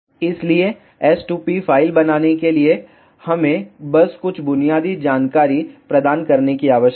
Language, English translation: Hindi, So, to make the s2p file, we need to just provide some basic information